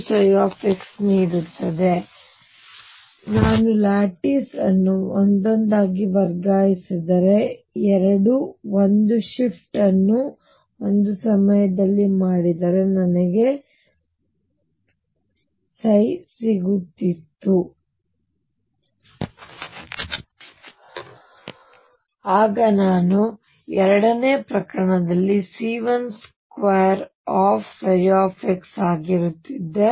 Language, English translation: Kannada, Now, think of this that if I shifted lattice one by one I would have gotten if 2 a shift was done a step at a time, then I would have gotten psi in the second case to be c 1 square psi x